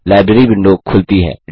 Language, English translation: Hindi, The Library window opens